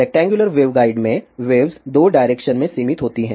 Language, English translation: Hindi, Since in rectangular waveguide, waves are confined in 2 direction